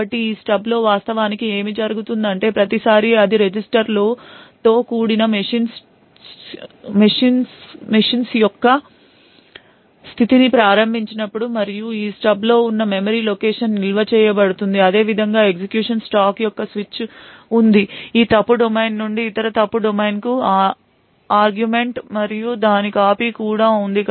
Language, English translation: Telugu, So what actually happens in these stubs is that every time it is invoked the machine state comprising of the registers and so on is stored in a memory location present in this stub similarly the there is a switch of the execution stack and there is a copy of arguments from this fault domain to the other fault domain